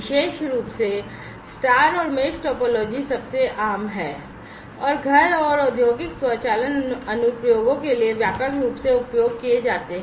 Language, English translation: Hindi, Particularly, the star and the mesh topologies are the most common and are widely used for home and industrial automation applications